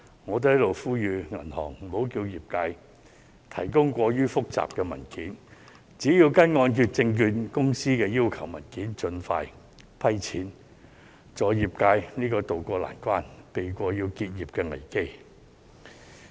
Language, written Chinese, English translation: Cantonese, 我在此也要呼籲銀行，無需要求業界提供過於複雜的文件，只需提交香港按揭證券有限公司所要求的文件，盡快批核申請，助業界渡過難關，避過結業的危機。, I would like to make an appeal here to the banks for not asking applicants from the sectors to provide overly complicated documents but that the documents required by the Hong Kong Mortgage Corporation Limited will suffice . I hope that they can vet and approve the applications without delay so as to help the sectors tide over the difficulty and avert the crisis of business closures